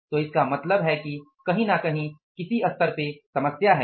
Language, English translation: Hindi, So it means there is some problem at some level